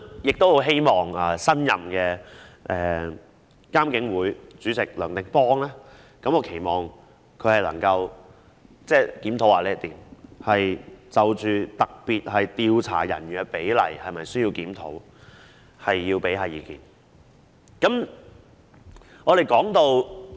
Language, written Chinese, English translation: Cantonese, 我很希望新任的監警會主席梁定邦能夠檢視這個問題，研究是否需要檢討調查人員與警員的比例。, I really hope that the new Chairman of IPCC Anthony Francis NEOH can look into this problem and study if there is a need for review of the ratio between investigation personnel and police officers